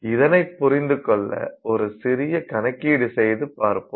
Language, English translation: Tamil, So, to understand that let's do a small calculation